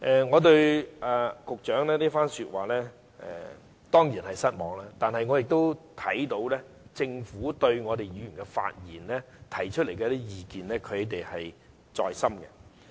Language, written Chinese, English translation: Cantonese, "我對局長這番說話當然感到失望，但我看到政府對議員提出的意見是放在心上的。, I am surely disappointed by the Secretarys remark yet I can see that the Government does take Members views to heart